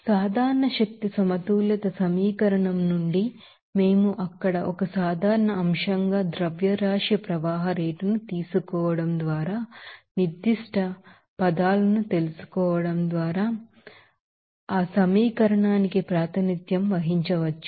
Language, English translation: Telugu, Now, from the general energy balance equation, we can represent that equation in terms of you know specific terms by taking the you know mass flow rate as a common factor there